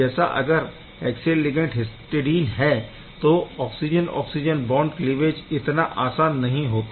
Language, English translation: Hindi, If this axial ligand was histidine this oxygen oxygen bond cleavage may not have been that easy